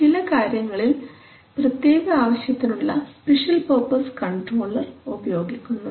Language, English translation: Malayalam, Though in some cases you may use some special purpose controllers